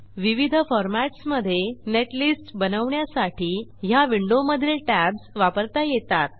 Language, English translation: Marathi, This window contains tabs which allow you to generate netlist in different formats